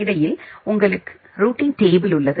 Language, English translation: Tamil, And in between you have the routing table